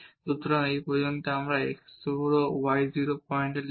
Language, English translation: Bengali, So, up to this one if we write down at this x 0 y 0 point